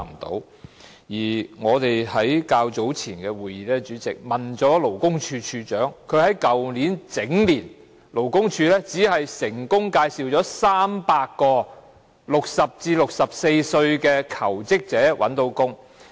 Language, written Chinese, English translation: Cantonese, 主席，我們在較早前的委員會會議中詢問了勞工處處長，勞工處去年整年僅成功介紹了300名60歲至64歲的求職者覓得工作。, President we made enquiries with the Commissioner for Labour at a committee meeting earlier . LD successfully referred only 300 job seekers aged between 60 and 64 for placement last year